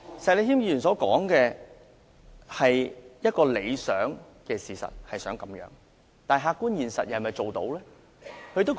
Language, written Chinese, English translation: Cantonese, 石議員所說的是一個理想，但客觀現實又是否做得到？, Mr SHEK was talking about an ideal condition . Can this ideal be achieved in reality?